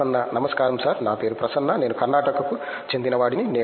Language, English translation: Telugu, Hello sir, my name is Prasanna, I am from Karnataka